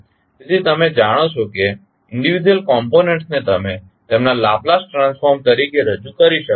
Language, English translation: Gujarati, So, you know that individual components you can represent as their Laplace transform